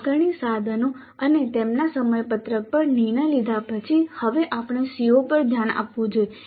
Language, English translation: Gujarati, After deciding on the assessment instruments and their schedule we must now look at the COs